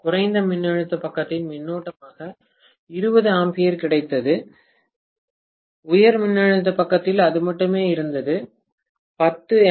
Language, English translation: Tamil, We got 20 amperes as the current on the low voltage side and on the high voltage side it was only 10 amperes